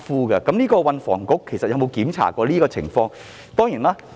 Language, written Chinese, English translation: Cantonese, 就此，運房局有否審視過有關情況？, In this connection had THB examined the situation?